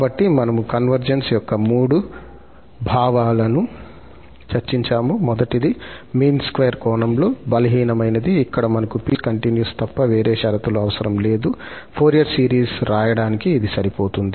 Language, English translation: Telugu, So, we have discussed the three notions of the convergence, the first one is the weaker one in the mean square sense, where we do not need any condition other than piecewise continuity, which is sufficient for writing indeed, Fourier series